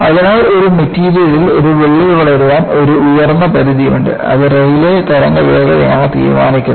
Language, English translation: Malayalam, So, there is an upper limit with which a crack can grow in a material; that is, decided by the Rayleigh wave speed